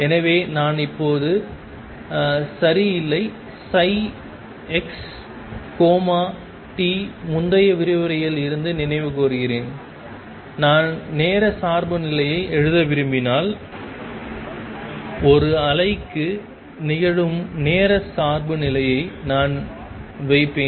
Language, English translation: Tamil, So, I am not right now psi x comma t and recall from earlier lectures, that when I want to write the time dependence I will just put in the time dependence as happens for a wave